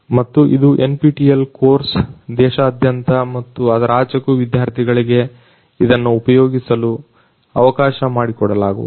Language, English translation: Kannada, And this is an NPTEL course which is going to be made accessible to students from all over the country and even beyond